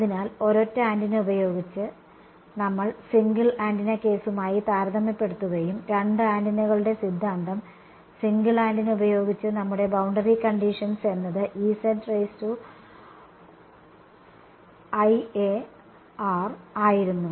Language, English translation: Malayalam, So, with a single antenna, we will keep comparing with the single antenna case and the build the theory of two antennas to each other with the single antennas our boundary condition was E z i A